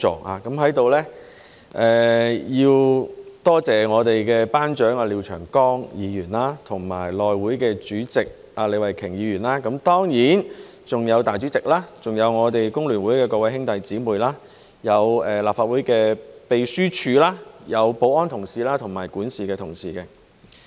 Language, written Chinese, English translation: Cantonese, 我在此要多謝我們的班長廖長江議員及內務委員會主席李慧琼議員，當然還有"大主席"，還有我們工聯會的各位兄弟姊妹、立法會秘書處、保安同事及管事的同事。, Here I would like to thank our class monitor Mr Martin LIAO Chairman of the House Committee Ms Starry LEE and surely the Legislative Council President not forgetting our brothers and sisters in the Hong Kong Federation of Trade Unions the Legislative Council Secretariat and our security and steward colleagues